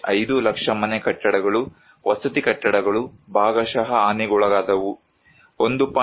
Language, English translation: Kannada, 5 lakhs houses buildings residential buildings were partially damaged, 1